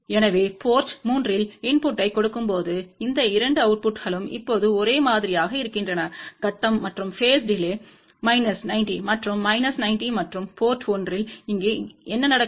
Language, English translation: Tamil, So, when we give a input at port 3, these 2 outputs are now in same phase and the phase delay at this is minus 90 and minus 90 and what happens here at port 1